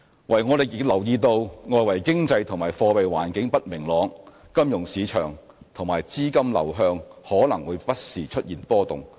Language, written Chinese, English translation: Cantonese, 唯我們亦留意到外圍經濟及貨幣環境不明朗，金融市場及資金流向可能會不時出現波動。, However it has also come to our attention that due to the uncertainties in the external economy and monetary environment the financial market and capital flows may fluctuate from time to time